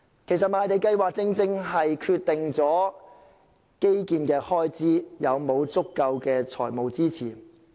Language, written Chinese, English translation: Cantonese, 其實，賣地計劃正是決定基建開支是否有足夠的財務支持。, In fact it is exactly the Programme that determines whether there will be sufficient financial support for infrastructure development